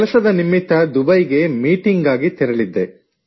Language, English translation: Kannada, I had gone to Dubai for work; for meetings